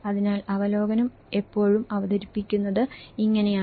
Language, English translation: Malayalam, So, this is how the review is always presented